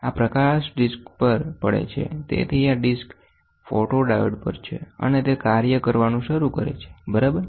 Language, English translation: Gujarati, This light falls on a disc so, this disc is on photodiode and it starts doing, ok